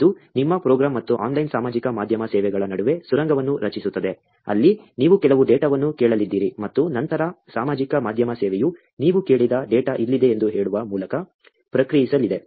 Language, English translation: Kannada, It just creates a tunnel between your program and the online social media services, where you are going to ask some data and then, the social media service is going to respond with saying, here is the data that you asked for, right